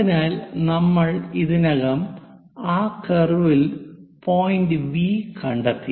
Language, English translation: Malayalam, So, we have already located point V on that curve